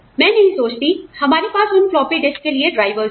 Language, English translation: Hindi, I do not think, we have drivers, for those floppy disks